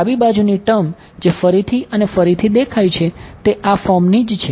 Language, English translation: Gujarati, So, left hand side term which appears again and again is of this form right